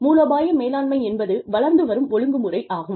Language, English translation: Tamil, Strategic management is an evolving discipline